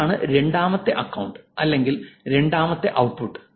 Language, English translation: Malayalam, That's the second account, second output